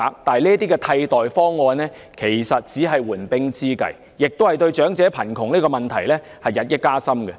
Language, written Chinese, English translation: Cantonese, 然而，這些替代方案只是緩兵之計，亦會令長者貧窮的問題日益加深。, However these alternative proposals are merely stalling tactics which will also aggravate the problem of elderly poverty as time passes